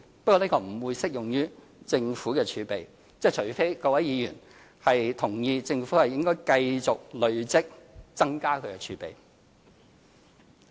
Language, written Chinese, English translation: Cantonese, 不過，這不會適用於政府的儲備，除非各位議員同意政府應繼續累積、增加儲備。, However this method will not apply to the Governments fiscal reserves unless Members agree that it should go on accumulating more and more reserves